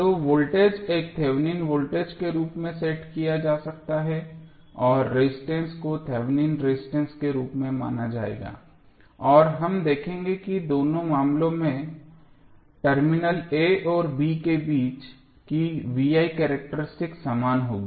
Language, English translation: Hindi, So, voltage would be can set as a Thevenin voltage and resistance would be consider as Thevenin resistance and we will see that the V I characteristic across terminal a and b will be same in both of the cases